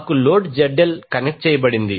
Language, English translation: Telugu, We have a load ZL is connected